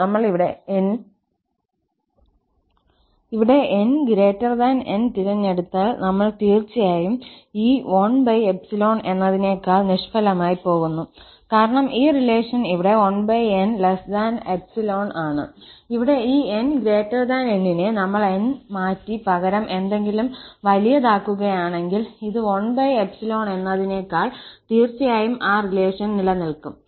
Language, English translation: Malayalam, So, if we choose here, if we choose this n greater than this N, then definitely this 1 over n is going to be less than epsilon because this relation here, 1 over n less than epsilon, and here, this n greater than N, if we replace N by something bigger than this 1 over epsilon, definitely that relation will hold